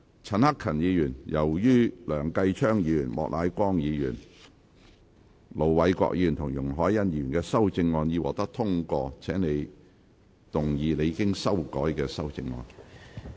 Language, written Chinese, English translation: Cantonese, 陳克勤議員，由於梁繼昌議員、莫乃光議員、盧偉國議員及容海恩議員的修正案已獲得通過，請動議你經修改的修正案。, Since the question was agreed by a majority of each of the two groups of Members present he therefore declared that the amendment was passed . Mr CHAN Hak - kan as the amendments of Mr Kenneth LEUNG Mr Charles Peter MOK Ir Dr LO Wai - kwok and Ms YUNG Hoi - yan have been passed you may move your revised amendment